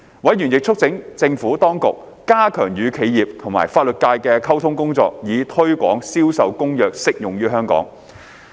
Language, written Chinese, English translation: Cantonese, 委員亦促請政府當局加強與企業及法律界的溝通工作，以推廣將《銷售公約》適用於香港。, Members also urged the Administration to strengthen its communication with the business and legal sectors with a view to promoting the application of CISG to Hong Kong